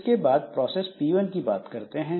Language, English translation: Hindi, And then process P1